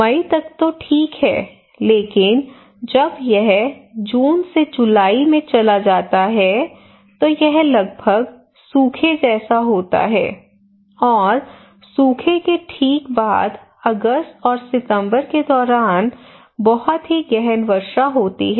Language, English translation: Hindi, Until May is still fine but when this move from to June or July no rain then is almost like a drought like a situation and just after the drought they are very erratic rainfall maybe a very intensive rainfall during August and September